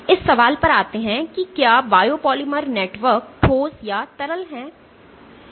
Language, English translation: Hindi, So, coming to the question of whether a biopolymer network is a solid or a liquid